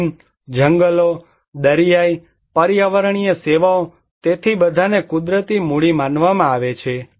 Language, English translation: Gujarati, Land, forests, marine, environmental services, so all are considered to be natural capital